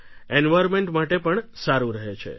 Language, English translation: Gujarati, It is good for the environment